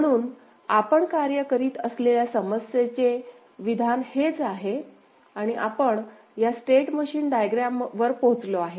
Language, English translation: Marathi, So, this is the problem statement with which we worked and we arrived at this state machine diagram ok